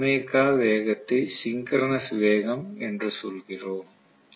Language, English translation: Tamil, We call this speed omega as the synchronous speed